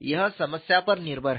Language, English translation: Hindi, It is problem depended